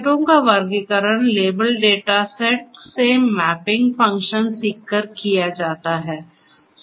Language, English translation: Hindi, Classification of data sets by learning the mapping function from the label data set